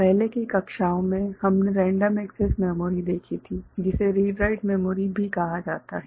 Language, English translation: Hindi, In earlier classes, we had seen random access memory which is also read write memory